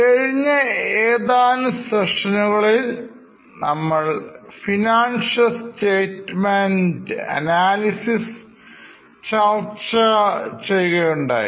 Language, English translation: Malayalam, In last few sessions, discussing financial statement analysis